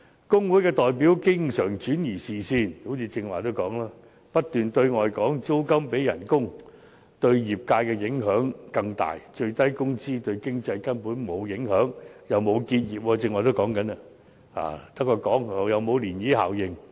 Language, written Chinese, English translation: Cantonese, 工會代表經常轉移視線，正如剛才所說，他們不斷對外聲稱租金比工資對業界的影響更大，而最低工資對經濟根本沒有影響，既沒有導致結業——剛才也談及這一點，空口說白話——亦沒有漣漪效應。, Labour union representatives often seek to divert peoples attention by as I pointed out just now alleging continuously that the impact of rentals is greater than that of wages on the industry . Moreover the minimum wage has had no impact on the economy at all for it has not resulted in any business closures―as I said just now these people were talking nonsense―or produced any ripple effect